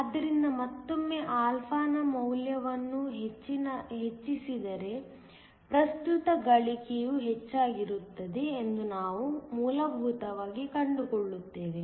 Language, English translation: Kannada, So, again higher the value of α, we will essentially find for the current gain is also higher